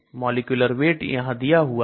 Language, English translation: Hindi, Molecular weight is given here